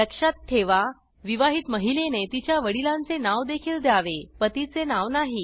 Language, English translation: Marathi, Note that married women should also give their fathers and not their husbands name